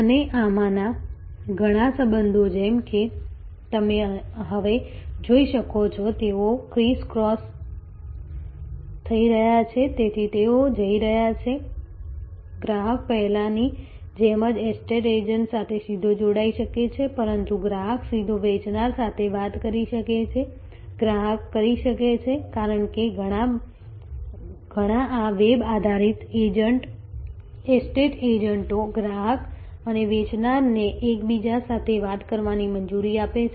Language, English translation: Gujarati, And many of these relationships as you can see now, they are going crisscross, so they are going… The customer can directly connect to estate agent as they did before, but the customer can directly talk to the seller, customer can… Because, many of this web based estate agents allow the customer and seller to talk to each other